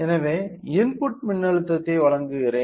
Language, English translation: Tamil, So, let me provide the input voltage